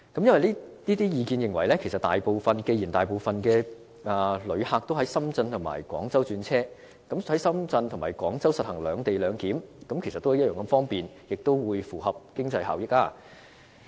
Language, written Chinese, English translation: Cantonese, 有意見認為，既然大部分旅客都要在深圳或廣州轉車，那麼在深圳或廣州實行"兩地兩檢"其實也同樣方便，也符合經濟效益。, In the view of some people since most of the passengers will have to change to another route in Shenzhen or Guangzhou it will be equally convenient and cost - effective to implement the co - location arrangement in Shenzhen or Guangzhou